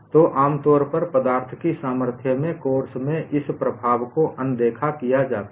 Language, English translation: Hindi, So, usually this effect is ignored in a course on strength of materials